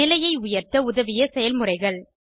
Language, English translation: Tamil, Practices that helped improve the condition